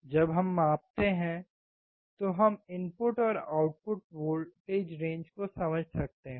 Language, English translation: Hindi, When we measure, we can understand the input and output voltage range